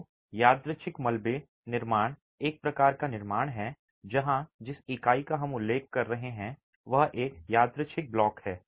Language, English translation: Hindi, So, random double construction is a type of construction where the unit that we are referring to is a random block